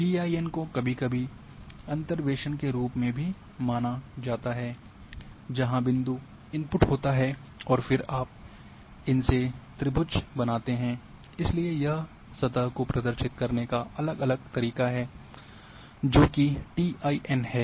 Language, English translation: Hindi, In TIN also TIN is sometimes also considered as interpolation where because the point input is there and then you create triangles so there you know different way of representing the surface which TIN is since we have discussed so we moved here from here